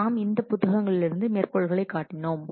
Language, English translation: Tamil, We have taken the reference from these books